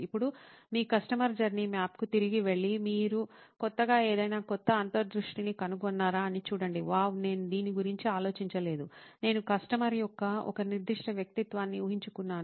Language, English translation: Telugu, Now, go back to your customer journey map and see if you have unearth something new some new insight that you think, “wow I did not think about this, I had assumed a certain persona of a customer